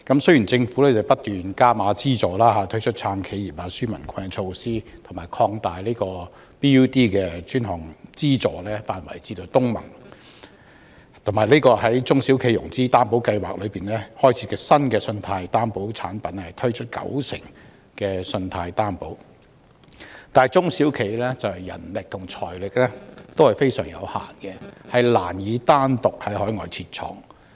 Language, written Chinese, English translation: Cantonese, 雖然政府不斷增加資助額，推出"撐企業、紓民困"的措施，又擴大 BUD 專項基金的資助範圍以涵蓋東盟國家，以及在中小企融資擔保計劃增設新的信貸擔保產品，推出九成信貸擔保，但中小企的人力和財力均非常有限，難以單獨在海外設廠。, Although the Government has continuously increased the amount of funding commitment implemented a package of measures to support enterprises and relieve peoples financial burden extended the scope of the BUD Fund to cover the ASEAN countries and launched a new 90 % Guarantee Product under the SME Financing Guarantee Scheme small and medium enterprises SMEs who have been operating under very limited manpower and financial resources encounter difficulties in setting up factory operations in overseas countries on their own